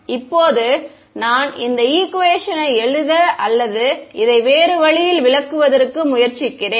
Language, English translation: Tamil, Now let me try to write this equation or interpret this in different way ok